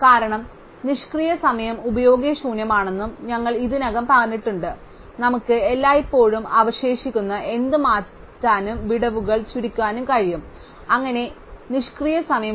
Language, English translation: Malayalam, Because, we already said that idle time is useless we can always shift anything left, compress out the gaps, so that there is no idle time